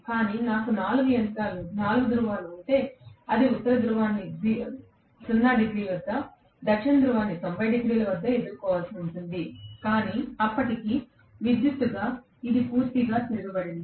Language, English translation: Telugu, But, if I have 4 poles, it will face North Pole at 0 degrees, it will face South Pole at 90 degrees itself, but by then electrically it has completely reversed